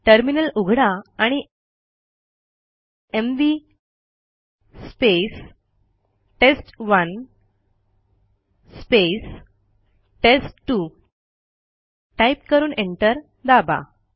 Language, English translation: Marathi, We open the terminal and type mv space test1 space test2 and press enter